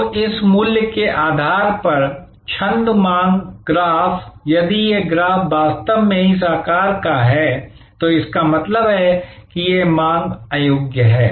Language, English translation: Hindi, So, depending on this price verses demand graph, if this graph is actually of this shape this is means that it is the demand is inelastic